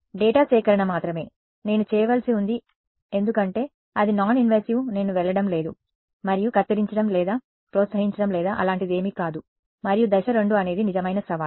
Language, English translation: Telugu, Data collection is all I need to do because its non invasive I am not going and cutting or prodding or anything like that and step 2 is where the real challenge is, right